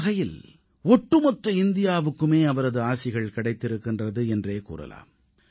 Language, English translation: Tamil, In a way, entire India received his blessings